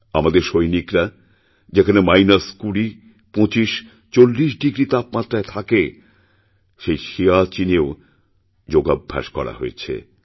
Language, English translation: Bengali, Our soldiers practiced yoga in Siachen where temperatures reach minus 20, 25, 40 degrees